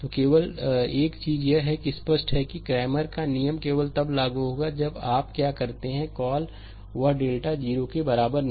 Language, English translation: Hindi, So, only thing is that it is evident that cramers rule applies only when you are what you call, that your delta not is equal to 0